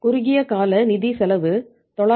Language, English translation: Tamil, Short term funds cost is 966